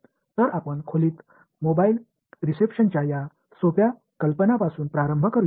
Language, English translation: Marathi, So, let us start with this simple idea of mobile reception in room